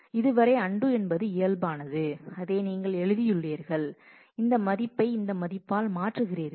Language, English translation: Tamil, So, so far the undo was physical that, you wrote this, you change this value by this value